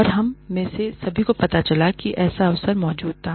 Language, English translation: Hindi, And, all of us came to know, that such an opportunity existed